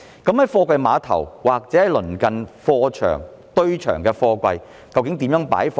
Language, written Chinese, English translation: Cantonese, 在貨櫃碼頭或鄰近貨場、堆場的貨櫃，究竟如何擺放？, How exactly should containers be placed at a container terminal or the cargo yards and container depots in its vicinity?